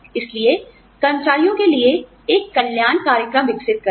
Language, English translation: Hindi, So, develop a wellness program for employees